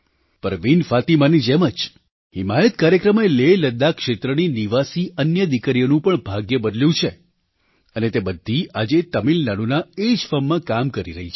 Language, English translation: Gujarati, Like Parveen Fatima, the 'HimayatProgramme' has changed the fate of other daughters and residents of LehLadakh region and all of them are working in the same firm in Tamil Nadu today